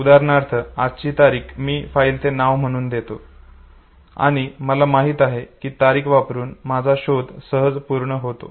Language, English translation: Marathi, Say for example, today's date, I give it as a file name and I know that my search will always be know using the date